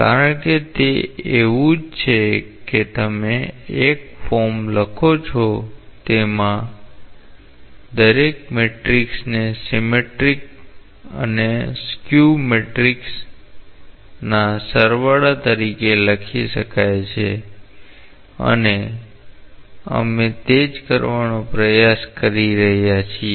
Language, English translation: Gujarati, Because it is just like you are writing a form every matrix can be written as a sum of a symmetric and a skew symmetric matrix and that is what we are trying to do